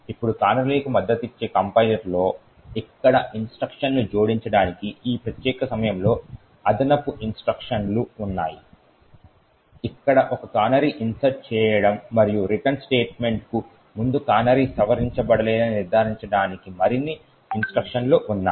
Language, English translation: Telugu, Now in compliers which supports canaries additional instructions are present at this particular point where instructions are present to add, insert a canary over here and just before the return statement more instructions are present So, that So, as to ensure that the canary has not been modified